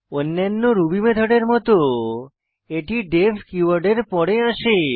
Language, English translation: Bengali, Like other Ruby methods, it is preceded by the def keyword